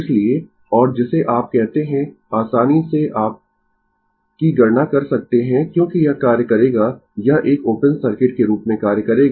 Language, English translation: Hindi, So, and your what you call, easily you can compute I because this will act this will act as a open circuit